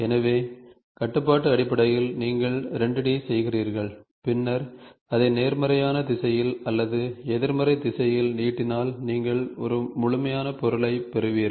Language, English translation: Tamil, So, in constraint based, you do a 2 D and then you stretch it either in the positive direction or in the negative direction you get a complete object